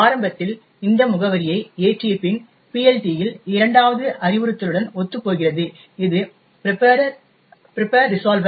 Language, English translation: Tamil, Initially, after loading this address, corresponds to the second instruction in the PLT which is the prepare resolver